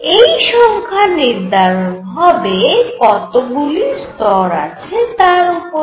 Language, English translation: Bengali, Number is going to be decided by how many levels are there